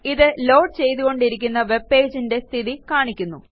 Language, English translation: Malayalam, It shows you the status of the loading of that webpage